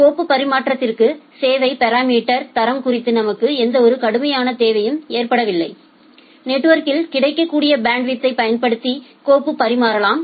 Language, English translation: Tamil, For file transfer as such we do not need any strict requirement on the quality of service parameters you can transfer it with whatever available bandwidth is there in the network